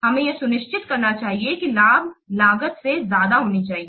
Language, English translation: Hindi, We must ensure that the benefits must outweigh the costs